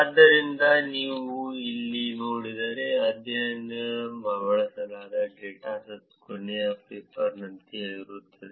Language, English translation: Kannada, So, here if you look at it, the dataset that was used in the study is the same as the last paper